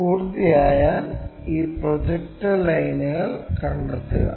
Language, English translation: Malayalam, Once done locate this projector lines